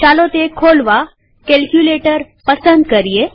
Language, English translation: Gujarati, Lets open this, click on calculator